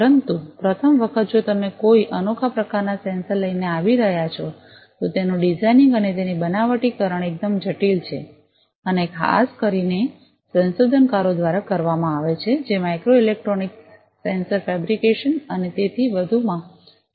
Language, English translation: Gujarati, But for the first time if you are coming up with a unique type of sensor the designing of it and fabrication of it is quite complex and is typically done by researchers, who take interest in micro electronics, sensor fabrication, and so on that is completely different